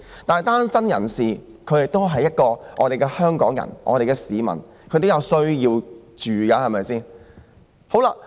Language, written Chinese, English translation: Cantonese, 不過，單身人士亦是香港人，是市民，他們同樣需要居住地方。, But singletons are also Hong Kong people and members of the public who likewise need an accommodation